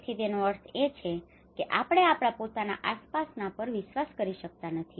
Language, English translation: Gujarati, So which means we are even not able to trust our own surroundings